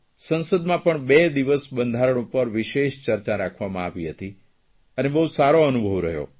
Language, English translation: Gujarati, We organized a two day special discussion on the constitution and it was a very good experience